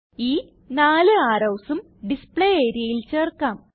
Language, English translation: Malayalam, Lets add these 4 arrows to the Display area